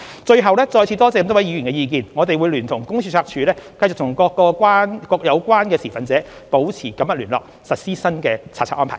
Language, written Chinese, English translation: Cantonese, 最後，再次多謝各位議員的意見，我們會聯同公司註冊處繼續與各相關持份者保持緊密聯絡，實施新查冊安排。, Lastly I would like to thank Members again for their opinions . We will collaborate with the Company Registry to maintain close contact with all stakeholders for the implementation of the new inspection regime